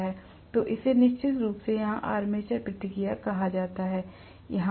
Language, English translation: Hindi, So that is something definitely called armature reaction here also, no doubt